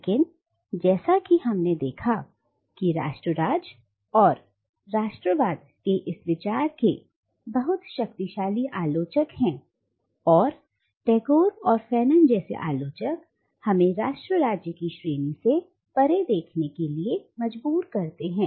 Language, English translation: Hindi, But as we have seen that there are very powerful critics of this idea of nation state and nationalism and these critics like Tagore and Fanon compel us to look beyond the category of nation state